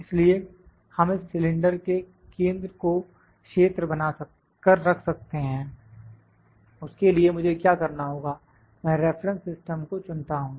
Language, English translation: Hindi, So, I can we keep the centre of this cylinder as region, for that what I have to do, I select the reference system